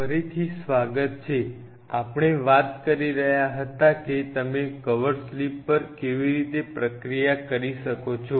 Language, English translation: Gujarati, Welcome back, we were talking about how you can process the cover slips